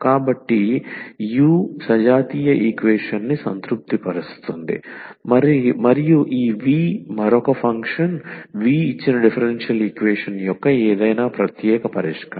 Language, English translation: Telugu, So, the u satisfies that homogeneous equation and this v another function v be any particular solution of the given differential equation